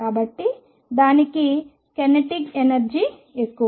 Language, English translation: Telugu, So, its kinetic energy is higher